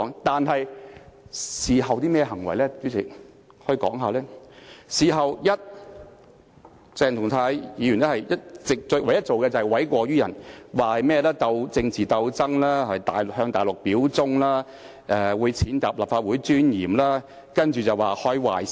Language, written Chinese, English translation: Cantonese, 但是，鄭松泰議員事後唯一做過的事情，就是諉過於人，反指這是一場政治鬥爭，更指控其他議員向大陸表忠，踐踏立法會的尊嚴，更表示會開壞先例。, The only thing Dr CHENG Chung - tai did after the incident was put the blame on someone and described the incident as a political struggle . What is more he accused other Members of pledging allegiance to the Mainland and trampled upon the dignity of the Legislative Council saying a bad precedent would thus be set